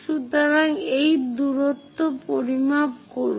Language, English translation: Bengali, So, measure this distance